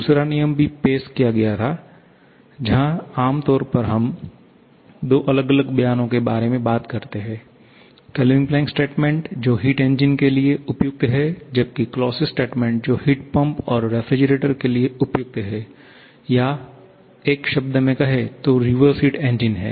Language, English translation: Hindi, The second law was also introduced where generally we talk about 2 different statements, the Kelvin Planck statement, which is the suitable one for heat engines whereas the Clausius statement which is a suitable one for heat pumps and refrigerators or in one word the reverse heat engines